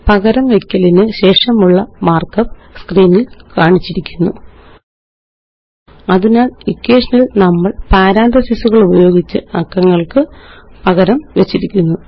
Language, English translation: Malayalam, So the mark up after the substitution, is as shown on the screen: So we have substituted the numbers using parentheses in the equation